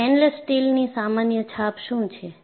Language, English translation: Gujarati, What is a common impression of a stainless steel